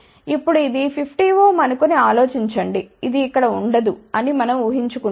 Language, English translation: Telugu, Now, think about if this is 50 ohm we are assuming that this does not exist here